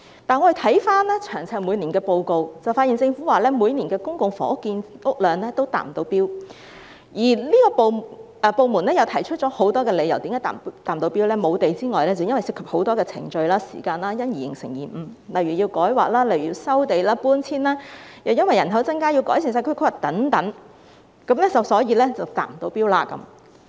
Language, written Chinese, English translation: Cantonese, 但我們翻看每年的詳細報告，發現政府表示每年公共房屋建屋量也未能達標，有關部門提出了很多未能達標的理由，除了沒有土地之外，還涉及很多程序和時間，因而導致延誤，例如需要進行土地改劃、收地和搬遷工作，又因為人口增加，故此要改善社區規劃等，所以未能達標。, However checking the detailed annual reports we found that the Government had stated that the public housing production failed to achieve the target every year . The relevant departments had furnished many reasons for the failure to meet the target . Apart from the shortage of land a lot of procedures and time were involved thus causing delay